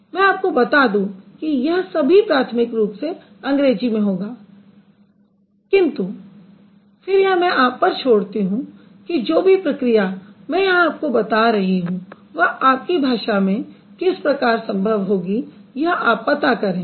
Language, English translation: Hindi, So, remember all these discussions I am bringing in, these are primarily in English, but then I would leave it up to you to find out how all these processes that I am discussing here, they work in your language